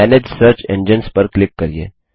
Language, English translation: Hindi, Click on Manage Search Engines